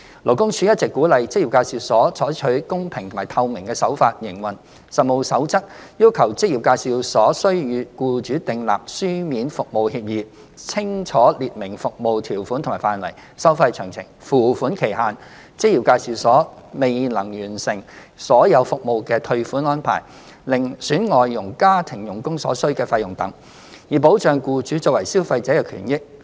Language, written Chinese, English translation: Cantonese, 勞工處一直鼓勵職業介紹所採取公平及透明的手法營運，《實務守則》要求職業介紹所須與僱主訂立書面服務協議，清楚列明服務條款和範圍、收費詳情、付款期限、職業介紹所未能完成所有服務的退款安排、另選外籍家庭傭工所需的費用等，以保障僱主作為消費者的權益。, LD has all along encouraged EAs to adopt an open and transparent approach in conducting their business . To protect the rights of the employers as consumers CoP requires EAs to draw up service agreements SAs with employers to clearly list out the service terms and scope details of the fees to be charged the payment schedule refund arrangements in case of incomplete delivery of EA services fees to be charged for selecting another foreign domestic helper FDH etc